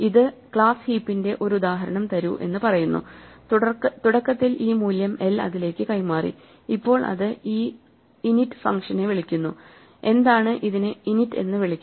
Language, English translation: Malayalam, So, we say h is equal to heap l, so this implicitly says give me an instance of the class heap with the initially value l passed to it now this calls this function init which is why it is called init